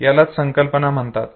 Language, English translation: Marathi, That is called concept